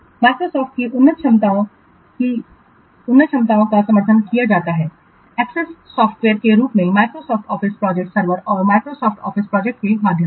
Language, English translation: Hindi, Advanced capabilities of Microsoft project, the advanced capabilities are supported through Microsoft project server and Microsoft project web access software